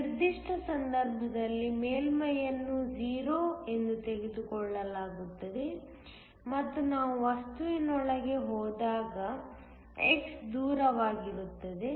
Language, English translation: Kannada, In this particular case the surface is taken is 0 and x is the distance as we go into the material